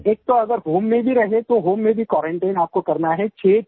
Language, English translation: Hindi, Sir, even if one stays at home, one has to stay quarantined there